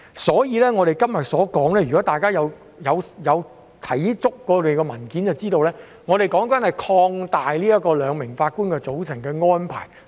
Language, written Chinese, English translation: Cantonese, 所以，如果大家有看過所有文件便會知道，我們今天所討論的，是擴大使用兩名法官的組成安排。, Hence if a Member has read all the papers he will know that our discussion today is about extending the use of a 2 - Judge bench arrangement